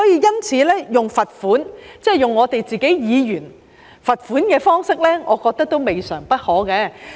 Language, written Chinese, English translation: Cantonese, 因此，採用罰款的方式，即對議員施加罰款，我認為未嘗不可。, Hence I think it is not a bad idea to adopt the penalty approach that is to impose a fine on Members